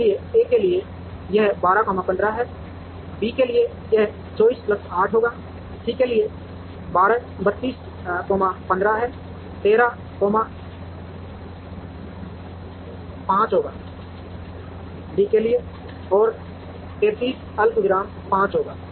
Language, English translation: Hindi, So, for A it is 12 comma 15 for B it will be 24 plus 8, 32 comma 15 for C it will be 13 comma 5, and for D it will be 33 comma 5